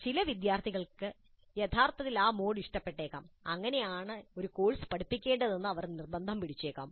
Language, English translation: Malayalam, Some of the students may actually like that mode and they may insist that that is how the courses should be taught